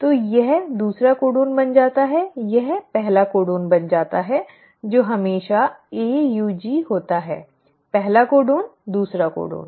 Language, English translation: Hindi, So this becomes the second codon, this becomes the first codon which is always AUG; first codon, second codon